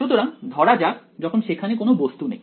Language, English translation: Bengali, So, let us say when there is no object ok